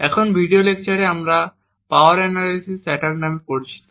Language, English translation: Bengali, In this video lecture we will talk about something known as Power Analysis Attacks